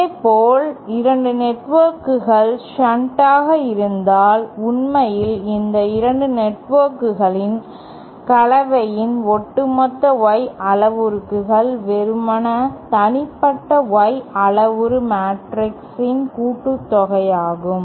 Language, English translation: Tamil, Similarly say if 2 networks are in shunt like this then actually the overall Y parameters of these 2 networks of the combination is simply the addition of the individual Y parameter matrix